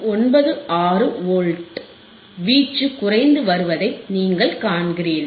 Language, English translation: Tamil, 96 Volts, you see the amplitude is decreasing